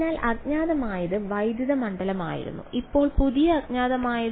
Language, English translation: Malayalam, So, the unknown was electric field now the new unknown is